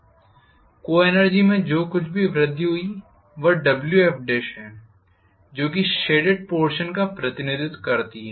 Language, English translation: Hindi, Whatever was the increase that happened in the co energy which is Wf dash that is represented by the shaded area